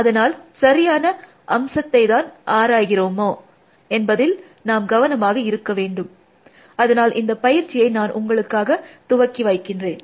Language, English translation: Tamil, So, you have to take care of the fact that you are looking at the correct element there, so I will lead that exercise for you to do